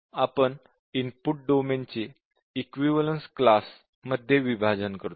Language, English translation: Marathi, We partition the input domain to equivalence classes